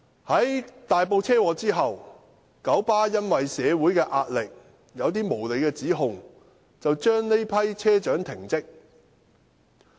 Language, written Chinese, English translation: Cantonese, 在大埔車禍發生後，九巴基於社會壓力，以一些無理指控把這批車長停職。, After the occurrence of the traffic accident in Tai Po KMB owing to social pressure suspended this group of bus captains from duty with some unreasonable accusations